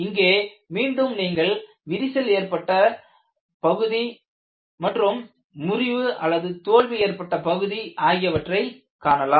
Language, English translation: Tamil, Here again, you see the crack surface and fracture surface